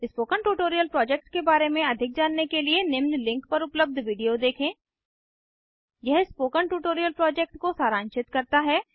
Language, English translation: Hindi, To know more about the Spoken Tutorial project, watch the video available at the following link, It summarises the spoken tutorial project